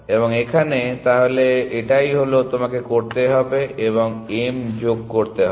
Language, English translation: Bengali, And here, no that is all and add m to correct